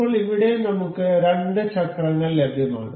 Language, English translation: Malayalam, Now, here we have two wheels available